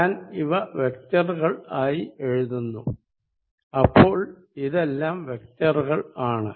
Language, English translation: Malayalam, So, vector this is vector, this is vector, this is vector, this is vector